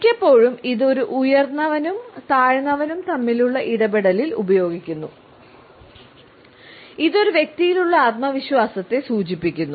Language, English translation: Malayalam, Very often it is used in a superior subordinate interaction; it indicates confidence in a person a certain self assurance